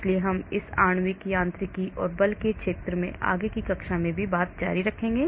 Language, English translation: Hindi, so we shall continue further on this molecular mechanics and force field in the next class as well